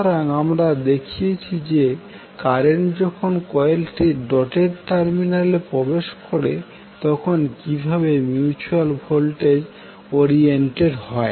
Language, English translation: Bengali, So we show when the current enters the doted terminal of the coil how the mutual voltage would be oriented